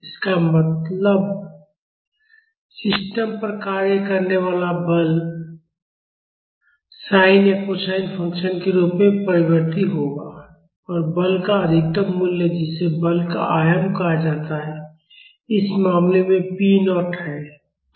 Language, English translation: Hindi, That means; the force acting on the system will be varying like this to be varying as a sine or cosine function, and the maximum value of the force which is called the amplitude of the force is p naught in this case